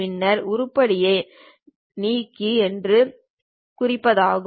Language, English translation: Tamil, It says that Delete the following item